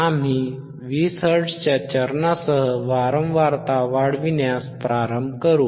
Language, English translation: Marathi, We will start increasing the frequency with the step of 20 hertz